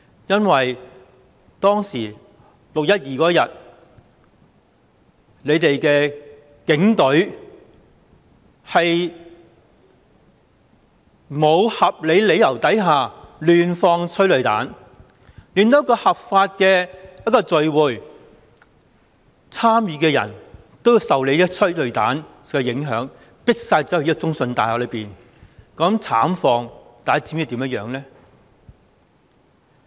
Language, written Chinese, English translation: Cantonese, 因為6月12日警隊在沒有合理理由下，胡亂施放催淚彈，令參與一個合法集會的人受到催淚彈影響，被迫走入中信大廈內，大家知道那種慘況嗎？, This was because the Police unreasonably and arbitrarily fired tear gas towards the members of a lawful assembly on 12 June forcing them to enter CITIC Tower . Do Members know how brutal the situation was?